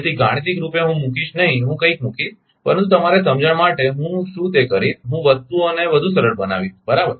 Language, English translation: Gujarati, So, mathematically I will not put I will put something, but for your understanding what I will do, I will make the things much simpler right